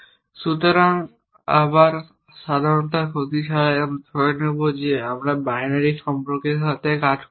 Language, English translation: Bengali, So, without again loss of generality we will assume that we are working with binary relations